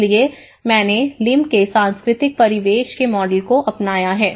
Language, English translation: Hindi, So, I have adopted Lim’s model of cultural environment